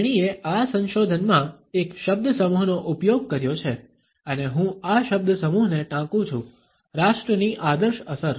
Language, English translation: Gujarati, She has used a phrase in this research and I quote this phrase, ideal effect of a nation